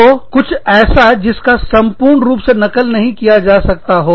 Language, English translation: Hindi, So, something, that cannot be totally copied